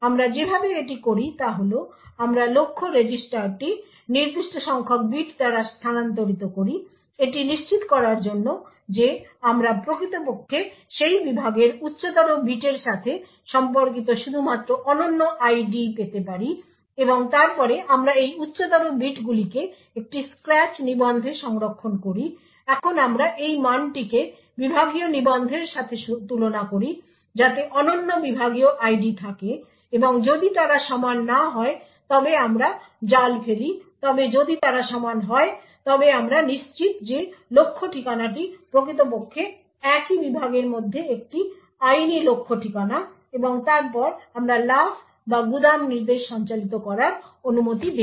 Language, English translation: Bengali, The way we do this is we take the target register shifted by a certain number of bits to ensure that we actually obtain only the unique ID corresponding to the higher bits of that segment and then we store this higher bits in a scratch register, now we compare this value with the segment register which contains the unique segment ID and if they are not equal we trap however if they are equal then we are guaranteed that the target address is indeed a legal target address within the same segment and then we would permit the jump or the store instruction to be performed